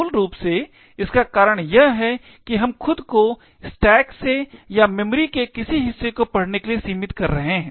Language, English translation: Hindi, Essentially the reason is that we are restricting ourselves to reading from the stack or from a given segment of memory